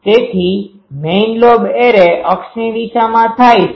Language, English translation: Gujarati, So, major lobe occurs along the array axis